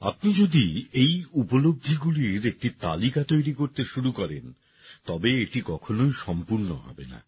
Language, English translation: Bengali, If we start making a list of these achievements, it can never be completed